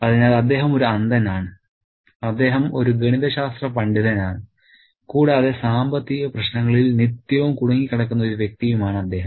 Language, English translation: Malayalam, So, he is a blind man, he is a maths ways and he is a man who is perpetually embroiled in financial troubles